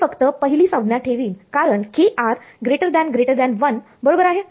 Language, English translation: Marathi, I will just keep the first term because kr is much much greater than 1 right